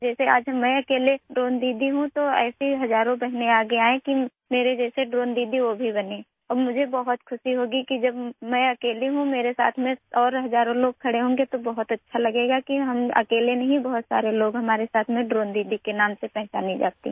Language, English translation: Hindi, Just like today I am the only Drone Didi, thousands of such sisters should come forward to become Drone Didi like me and I will be very happy that when I am alone, thousands of other people will stand with me… it will feel very good that we're not alone… many people are with me known as Drone Didis